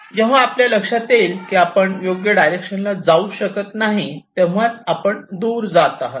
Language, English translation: Marathi, only when you see that you cannot move in the right direction, then only you move away